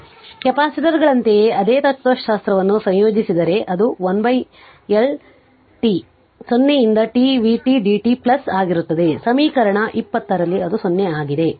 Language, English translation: Kannada, So, if you integrate same like capacitors same philosophy and it will be 1 upon L t 0 to t v t dt plus i t 0 that is equation 20 3 where i t 0